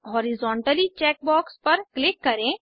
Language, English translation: Hindi, Lets click on Horizontally check box